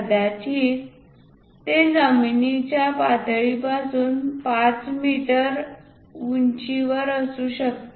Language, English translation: Marathi, Perhaps, it might be 5 meters above the ground level